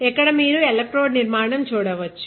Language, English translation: Telugu, So, you can see the electrode structure